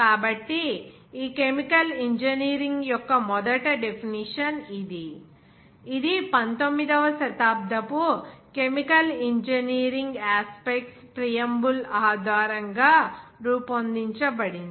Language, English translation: Telugu, So, this was the first definition of this Chemical Engineering, which was made based on the preamble of the chemical engineering aspects of the 19th century